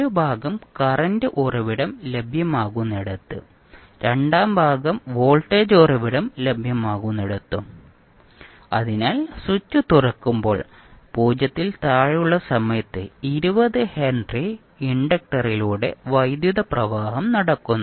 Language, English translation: Malayalam, So 1 part is were the current source is available second part were voltage source is available, so at time t less than 0 when the switch is open the current will be flowing through the 20 henry inductor